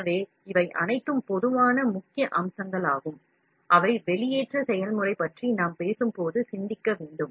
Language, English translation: Tamil, So, these are all the common key features, which are to be thought of when we talk about extrusion process